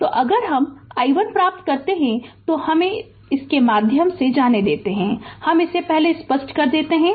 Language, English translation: Hindi, So, if you get i 1 let me let me go through this let me clear it first